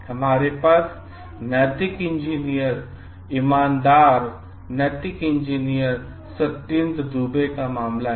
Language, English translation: Hindi, We have the case of like the ethical engineer, honest ethical engineer Satyendra Dubey